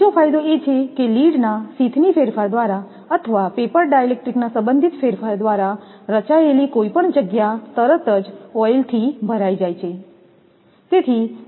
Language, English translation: Gujarati, Another advantage is that any space formed by the distortion of lead sheath or by relative movement of the paper dielectric is immediately filled with oil